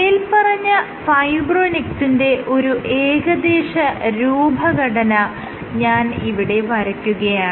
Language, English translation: Malayalam, So, if I were to draw approximately the structure of fibronectin